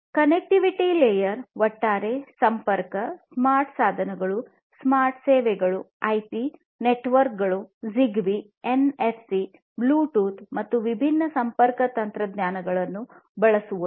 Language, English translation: Kannada, Connectivity layer talks about the overall connectivity, smart devices, smart services; you know using different connectivity technologies such as IP networks, ZigBee, NFC, Bluetooth etc